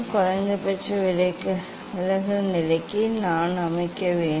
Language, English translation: Tamil, I have to set for minimum deviation position